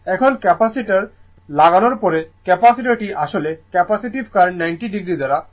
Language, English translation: Bengali, Now, after putting the Capacitor, Capacitor actually capacitive current will reach the Voltage by 90 degree